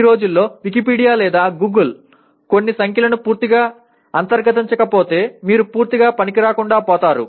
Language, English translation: Telugu, These days of course Wikipedia or Google you will be totally ineffective if some of the numbers are not thoroughly internalized